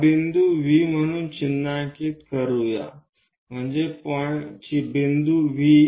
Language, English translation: Marathi, Let us mark this point as V this is the point V